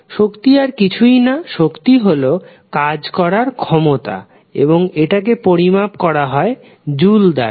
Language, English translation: Bengali, Energy is nothing but the capacity to do some work and is measured in joules